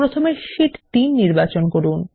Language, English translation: Bengali, First lets select Sheet 3